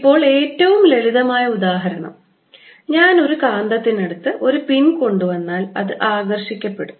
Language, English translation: Malayalam, now the simplest example is if i take a magnet and bring a pin close to it, it gets attracted